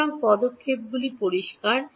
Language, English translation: Bengali, So, steps are clear